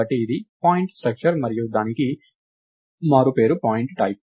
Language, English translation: Telugu, So, its a structure of type point and the nick name for that is point type